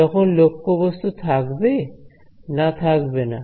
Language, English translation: Bengali, When there is objective or there no object